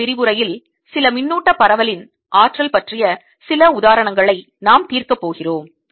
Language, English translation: Tamil, in the next lecture we are going to solve some examples of energy, of some distribution of charge